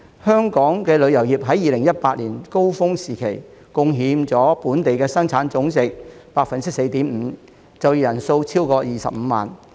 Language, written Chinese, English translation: Cantonese, 香港旅遊業在2018年高峰時期，貢獻了本地生產總值 4.5%， 就業人數超過25萬。, At its peak in 2018 Hong Kongs tourism industry contributed to 4.5 % of its GDP and employed more than 250 000 people